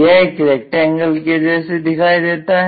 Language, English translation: Hindi, In the front view it looks like a rectangle